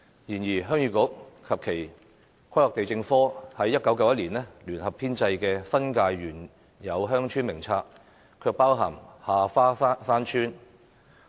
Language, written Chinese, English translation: Cantonese, 然而，鄉議局及前規劃地政科在1991年聯合編製的《新界原有鄉村名冊》卻包含下花山村。, However Ha Fa Shan Village was included in the List of Established Villages which was jointly compiled by Heung Yee Kuk and the former Planning and Lands Branch in 1991